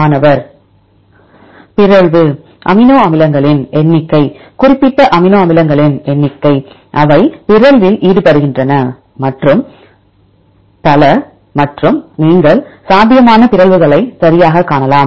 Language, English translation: Tamil, Mutability, number of amino acids, number of specific amino acids, which are involved in mutation and so on and you can see the probable mutations right